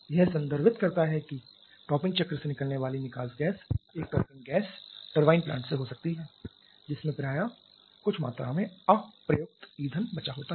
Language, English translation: Hindi, It refers that the exhaust gas that is coming out of the topping cycle may be a topping gas turbine plant that quite often has some amount of unburned fuel left in it